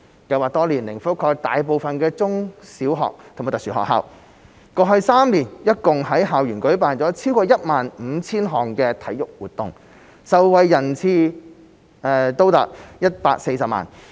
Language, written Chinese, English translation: Cantonese, 計劃多年來覆蓋大部分中、小學及特殊學校，過去3年共在校園舉辦了超過 15,000 項體育活動，受惠人次達140萬。, Under SSP students can choose suitable sports activities on the basis of their physical fitness levels . Over the years SSP has covered most primary and secondary schools and special schools . In the past three years more than 15 000 sports activities have been held in schools benefiting 1.4 million students